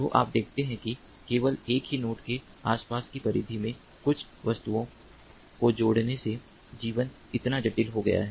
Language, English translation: Hindi, so you see that by adding few objects only within the periphery of, within the vicinity of a single node, the life has become so complex